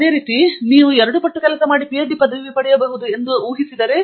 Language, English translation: Kannada, But then you do twice of that, that does not mean that you can get a PhD degree